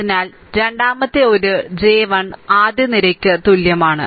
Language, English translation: Malayalam, So, that is j is equal to the 3 third column